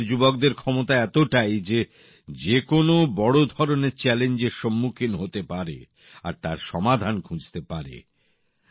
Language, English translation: Bengali, And it is the power of the youth of our country that they take up any big challenge and look for avenues